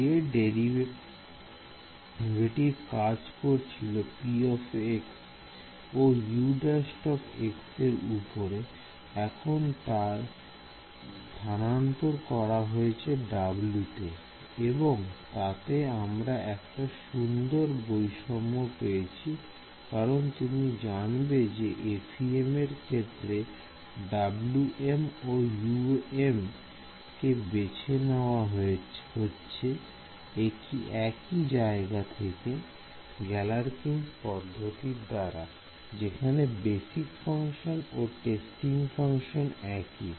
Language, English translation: Bengali, This derivative which was acting here on p x and U prime x has now been transferred onto W and that gives a nice kind of symmetry because you know before we even get into you know that in FEM W m and U M there going to be chosen from the same family right its Galerkin’s method the testing function and the basis function is the same